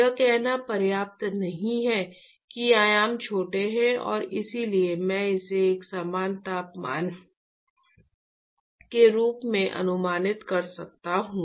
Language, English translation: Hindi, It is not enough to say that the dimensions are small and therefore, I can approximate it to be uniform temperature